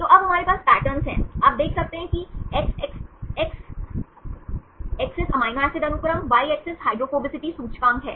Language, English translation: Hindi, So, now we have the patterns, you can see the X axis is amino acid sequence, Y axis hydrophobicity index